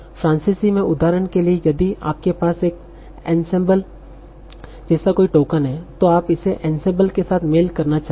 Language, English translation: Hindi, So, for example is like in French, if you have a token like L'Ansembal, so you might want to match it with an ensemble